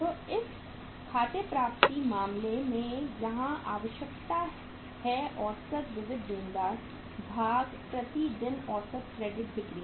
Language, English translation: Hindi, So in this case the accounts receivables here the requirement is average sundry debtors divided by the average credit sales per day